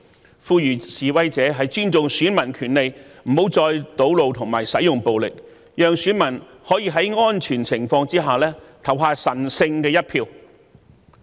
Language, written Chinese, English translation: Cantonese, 我呼籲示威者尊重選民權利，不要再堵路和使用暴力，讓選民可在安全情況下投下神聖一票。, I called on demonstrators to respect the rights of voters stop blocking roads and using violence so that voters would be able to cast a sacred vote under safe circumstances